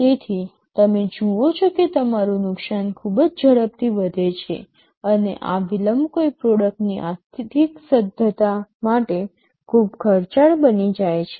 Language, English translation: Gujarati, So you see that your loss increases very rapidly, and this delay becomes very costly for the financial viability of a product